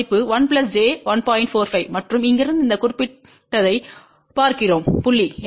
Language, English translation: Tamil, 45 and from here we are looking at this particular point